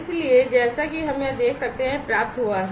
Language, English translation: Hindi, So, as we can see over here, it has been received